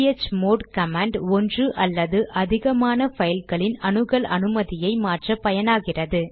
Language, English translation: Tamil, chmod command is used to change the access mode or permissions of one or more files